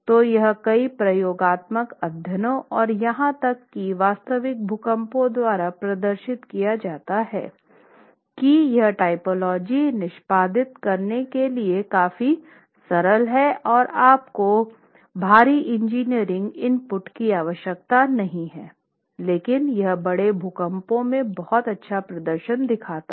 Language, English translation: Hindi, And it's demonstrated by several experimental studies and even actual earthquakes including large earthquakes in in countries like Chile that this is a typology that is significantly simple to execute you don't need heavy engineering input but gives extremely good performance in large earthquakes